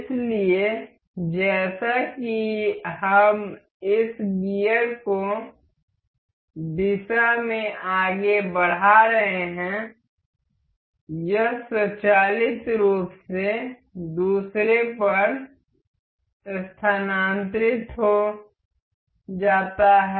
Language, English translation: Hindi, So, as we are moving this gear in direction it is automatically transferred over to the other other one